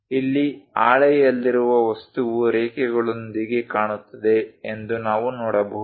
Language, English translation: Kannada, Here, we can see that the object on the sheet looks like that with lines